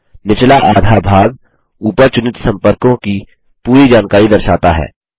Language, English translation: Hindi, The bottom half displays the complete details of the contact selected at the top